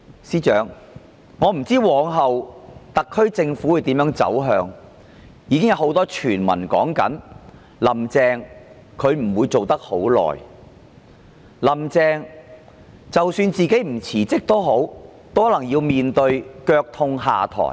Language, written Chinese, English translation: Cantonese, 司長，我不知往後特區政府的走向會如何，已有很多傳聞說"林鄭"不會再當多久的特首，即使不自行請辭，也可能要面對"腳痛下台"。, Chief Secretary I do not know the way forward for the SAR Government . There are already many rumours that Carrie LAM will not stay as the Chief Executive for too long . Even if she did not resign on her own accord she might still have to step down on whatever pretexts